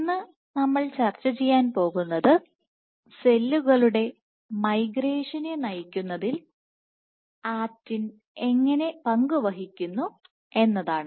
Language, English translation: Malayalam, So, what we are going to discuss today is to study how actin participates in directing migration of cells